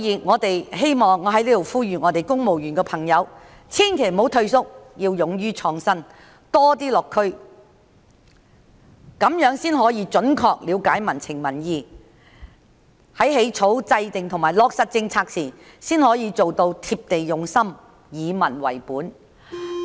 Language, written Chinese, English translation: Cantonese, 我在此呼籲公務員千萬不要退縮，要勇於創新及多些落區，這樣才能準確了解民情民意；在起草、制訂及落實政策時，才可做到貼地用心、以民為本。, I urge civil servants not to retreat be brave to innovate and pay more district visits to understand more accurately public sentiments and public views so that the policies formulated and implemented can be down to earth and people oriented